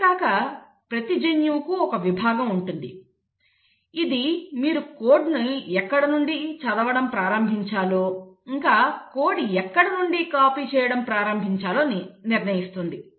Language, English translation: Telugu, And each gene has a section which determines from where you need to start reading the code, from where you need to start copying the code